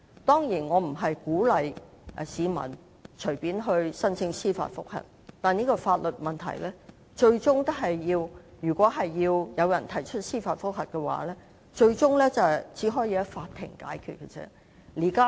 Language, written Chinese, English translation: Cantonese, 當然，我不是鼓勵市民隨便申請司法覆核，但就這個法律問題，如果最終有人提出司法覆核的話，也只可在法庭上解決。, It is certainly not my intention to encourage people to casually seek judicial review . Yet this legal problem may well be dealt with by the court if there is ultimately judicial review against it